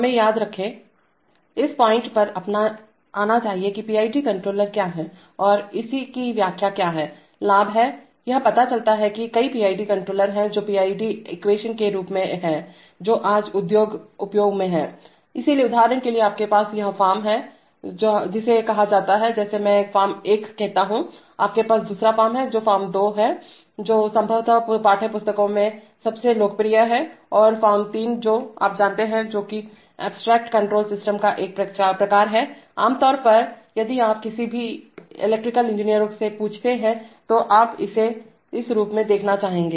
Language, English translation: Hindi, Let us remember, let us come to this point that what is the PID controller and what are the interpretation of it is gains, it turns out that there are several PID controllers which are, several forms of the PID equation which are in use in the industry today, so for example you have this form, which is called, which I call form one, you have the other form which is form two, which is probably the most popular in textbooks and form three which is a rather, you know, which is an abstract control systems kind of form, typically if you ask an, if you ask any an electrical engineers you would like to see it in this form okay